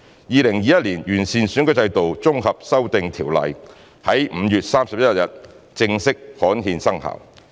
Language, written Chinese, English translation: Cantonese, 《2021年完善選舉制度條例》在5月31日正式刊憲生效。, The Improving Electoral System Ordinance 2021 was formally gazetted and came into effect on 31 May